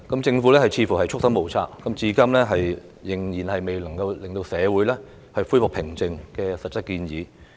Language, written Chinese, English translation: Cantonese, 政府似乎束手無策，至今仍然未有能令社會恢復平靜的實質建議。, the Government seems rather helpless; and to date there is still not any specific proposals that can restore peace in society